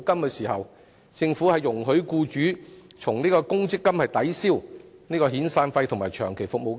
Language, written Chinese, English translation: Cantonese, 當時，政府容許僱主以公積金抵銷遣散費及長期服務金。, At that time the Government allowed employers to use provident fund benefits to offset severance and long service payments